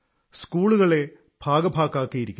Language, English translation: Malayalam, Schools have been integrated